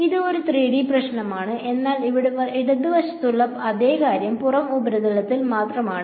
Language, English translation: Malayalam, So this is a 3D problem, but the same thing on the left hand side over here is only over the outer surface